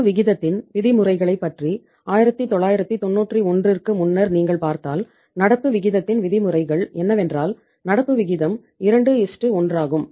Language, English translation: Tamil, If you talk about the norms of current ratio earlier before 1991 the norms of current ratio was current ratio is that is the norm was 2:1